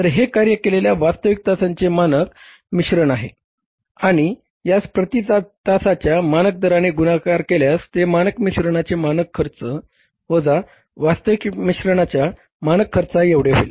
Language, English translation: Marathi, So, it is the standard mix of actual hours worked and multiplying it by the standard rate per hour will become the standard cost of standard mix minus standard cost of the actual mix